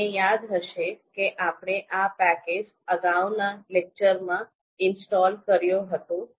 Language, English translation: Gujarati, You remember that this is the package that we have installed in the previous lecture